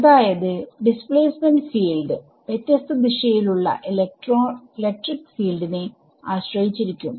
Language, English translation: Malayalam, So, what is saying is that the displacement field can depend on electric field in different directions